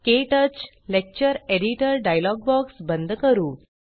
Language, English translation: Marathi, Let us close the KTouch Lecture Editor dialogue box